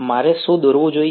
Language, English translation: Gujarati, What should I draw